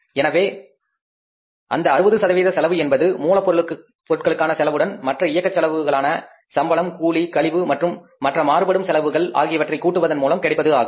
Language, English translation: Tamil, So, it will be the total cost, 60% will be the cost of raw material plus other operating expenses that is salaries, wages, commission and other variable expenses